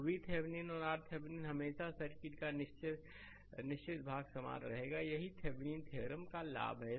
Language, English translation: Hindi, So, V Thevenin and R Thevenin always fixed part of the circuit will remain same, this is the this is the advantage of the Thevenin’s theorem right